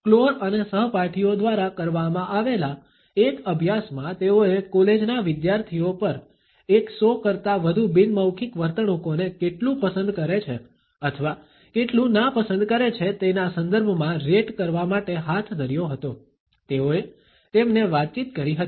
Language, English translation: Gujarati, , which they have conducted on college students to rate more than one hundred nonverbal behaviors in terms of how much liking or how much disliking, they communicated to them